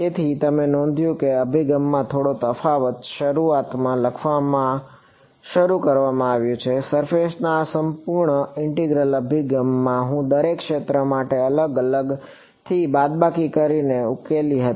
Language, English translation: Gujarati, So, you notice the slight difference in approach is started write in the beginning, in the surface integral approach I went for each region separately solved separately subtracted